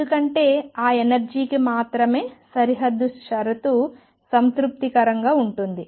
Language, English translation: Telugu, Because only for those energy is the boundary condition is satisfied